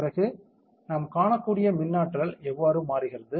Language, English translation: Tamil, Then how is the electric potential changing we can see